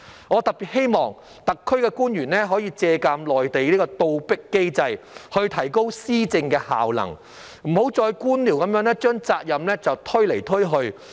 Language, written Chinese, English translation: Cantonese, 我特別希望特區的官員可以借鑒內地的"倒逼機制"來提高施政效能，不要再官僚地把責任推來推去。, I particularly hope that SAR officials will take a cue from the Mainlands reverse coercion mechanism to enhance the effectiveness of governance and stop passing the buck around in a bureaucratic manner